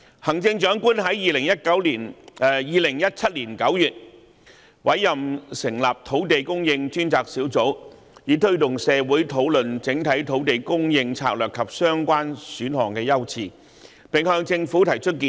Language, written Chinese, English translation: Cantonese, 行政長官在2017年9月成立土地供應專責小組，以推動社會討論整體土地供應策略及相關選項的優次，並向政府提出建議。, In September 2017 the Chief Executive set up the Task Force on Land Supply to promote discussion in society on the overall land supply strategy and priorities of the relevant options and then make recommendations to the Government